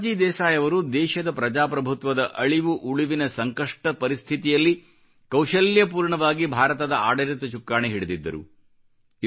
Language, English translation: Kannada, Morarji Desai steered the course of the country through some difficult times, when the very democratic fabric of the country was under a threat